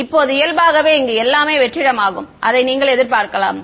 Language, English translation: Tamil, Now, by default everything else is vacuum that is what you would expect ok